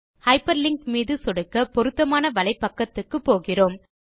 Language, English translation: Tamil, Now clicking on the hyper linked text takes you to the relevant web page